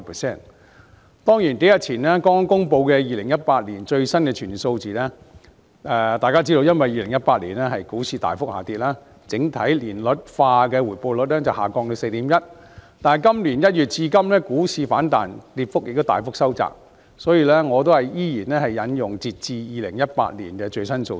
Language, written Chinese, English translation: Cantonese, 雖然數天前剛公布的2018年最新的全年數字，由於2018年股市大幅下跌，整體年率化回報率下調至 4.1%， 但本年1月至今股市反彈，跌幅亦大幅收窄，所以我依然引用截至2018年的最新數字。, While the latest full - year figures for 2018 were released just a few days ago of which the overall annualized rate of return dropped to 4.1 % due to a sharp fall in the stock market in 2018 the stock market has rebounded since January this year with the decline narrowed significantly . As such I will stick to the latest figures as of 2018